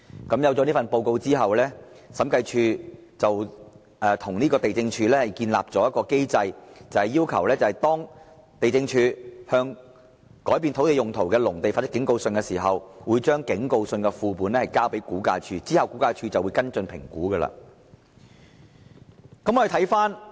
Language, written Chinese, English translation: Cantonese, 因此，在這份報告書發表後，審計署便建議地政總署訂立機制，要求地政總署在向改變土地用途的農地發出警告信時，同時將警告信的副本交給估價署，以便後者作出跟進評估。, Therefore after the publication of the Report the Audit Commission recommended the Lands Department LandsD to establish a mechanism and require LandsD when issuing warning letters to owners of agricultural land for changes in land use send a copy to RVD so that the latter could conduct follow - up assessment